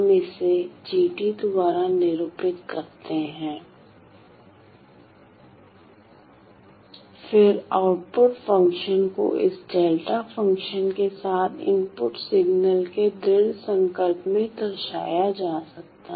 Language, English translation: Hindi, Let us call that this is g of t, then the output function can be represented as this convolution of the input signal with this delta function